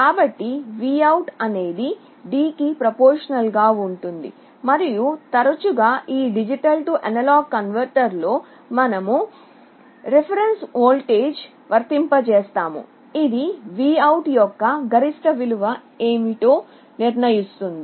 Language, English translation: Telugu, So, this VOUT will be proportional to D, and often in this D/A converter, we apply some reference voltage which will determine what will be the maximum value of VOUT